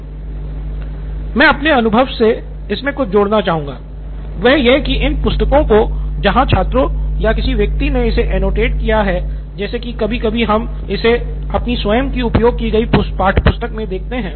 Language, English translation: Hindi, What I would like to add as part of my own experience is that these books where students or somebody has annotated it, like say sometimes we call it their own used textbooks